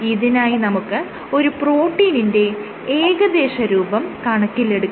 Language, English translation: Malayalam, So, let me approximate the protein